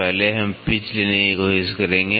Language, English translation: Hindi, First one we will try to take pitch